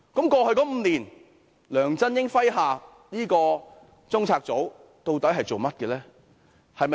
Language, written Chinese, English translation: Cantonese, 過去5年，在梁振英麾下的中策組究竟做過甚麼呢？, What actually has CPU under LEUNG Chun - ying done in the past five years?